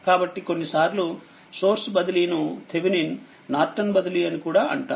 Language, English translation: Telugu, So, sometimes the source transformation we call Thevenin Norton transformation